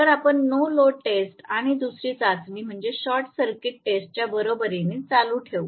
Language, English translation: Marathi, So, we will continue with the no load test and the second test which is equivalent to short circuit test